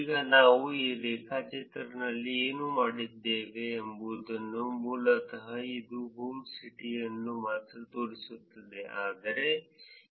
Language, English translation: Kannada, Now what we did in this graph is basically showing you only the home city, whereas this graph is actually showing you the home residence